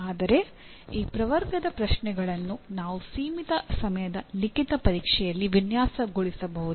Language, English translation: Kannada, But can we design questions of this category in limited time written examination